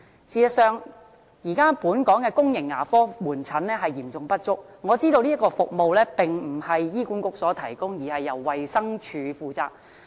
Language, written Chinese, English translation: Cantonese, 事實上，現時本港的公營牙科門診服務嚴重不足，我知道這項服務並非由醫管局提供，而是由衞生署負責。, As a matter of fact now the public dental outpatient services in Hong Kong are seriously inadequate . I know such services are under the charge of the Department of Health DH rather than being provided by HA